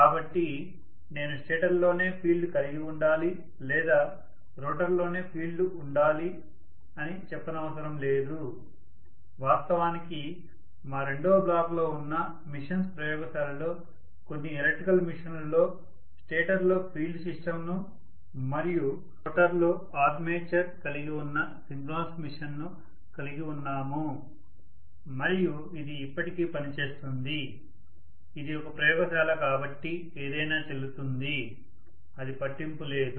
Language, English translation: Telugu, So it need not be the case that I have to have field in the stator or I have to have field in the rotor, in fact in some of the electrical machines that are there in our machines laboratory which is there in second block we have synchronous machines having the field system actually in the stator and the armature in the rotor and it still works, it is a laboratory so anything goes, it does not matter